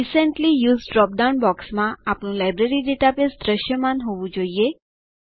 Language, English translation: Gujarati, In the Recently Used drop down box, our Library database should be visible